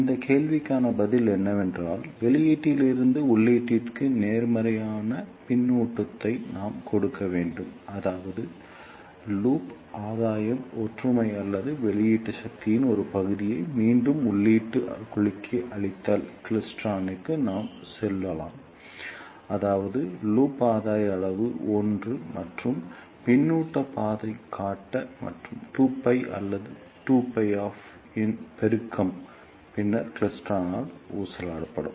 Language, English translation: Tamil, The answer to this question is that we need to give positive feedback from output to input such that the loop gain is unity or we can say for a klystron if a fraction of output power is feedback to the input cavity such that the loop gain magnitude is 1 and the feedback path phase shift is 2 pi or multiple of 2 pi, then the klystron will oscillate